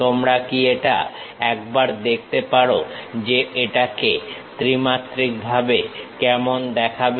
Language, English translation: Bengali, Can you take a look at it how it might be in three dimension, ok